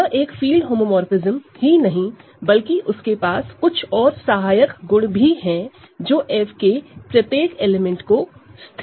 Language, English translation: Hindi, So, in particular, it is a homomorphism of fields which fixes every element of F